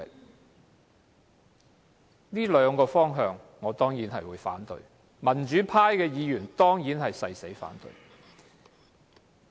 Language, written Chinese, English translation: Cantonese, 就這兩個方面，我當然會反對，民主派議員亦會誓死反對。, I am certainly against these two directions . Members from the pro - democracy camp will fight to the death to oppose the amendments